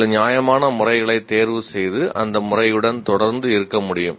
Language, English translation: Tamil, Some reasonable method can be chosen and stay with that method consistently